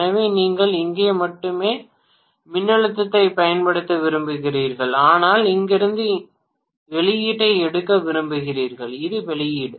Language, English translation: Tamil, Both of them together, so you want to apply the voltage only here but you want to take the output from here and here, this is the output whereas this is the input